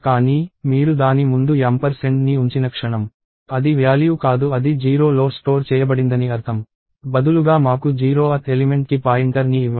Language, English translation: Telugu, But, the moment you put ampersand in front of it, it means do not get a value that is stored in a of 0, instead give me the pointer to the 0th element